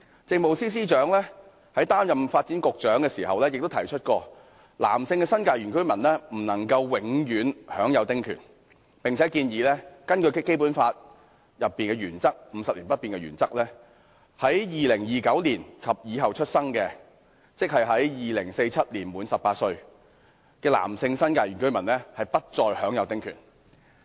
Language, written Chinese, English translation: Cantonese, 政務司司長在擔任發展局局長期間指出，男性新界原居民不能永享丁權，並建議以《基本法》確保香港生活方式50年不變的原則為丁權訂立期限，規定在2029年後出生的男性新界原居民不再享有丁權。, The Chief Secretary for Administration during her tenure as the Secretary for Development pointed out that the small house concessionary rights could not be granted to New Territories male indigenous villagers indefinitely and suggested setting a deadline for such rights in line with the Basic Laws principle of guaranteeing Hong Kongs way of life to remain unchanged for 50 years to stipulate that New Territories male indigenous villagers born after 2029 would no longer be entitled to small house concessionary rights